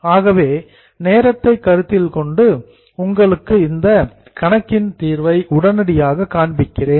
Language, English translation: Tamil, So, in the interest of time we are immediately showing you the solution